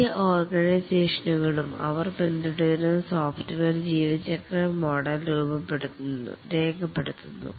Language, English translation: Malayalam, Most organizations, they document the software lifecycle model they follow